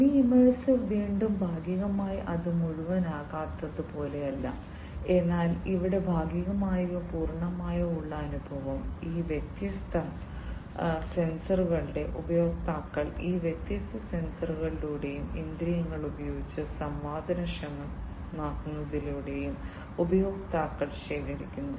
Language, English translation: Malayalam, Semi immersive again partly you know it is not like the non immersive, but here partly partially or fully immersive experience is gathered by the users, through these different sensors and the users use of these different sensors and the senses sensing up through these different sensors, this is what is done in this non semi immersive simulations